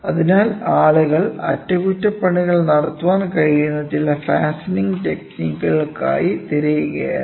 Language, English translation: Malayalam, So, people were looking at some fastening techniques which can be used so, that they can have maintenance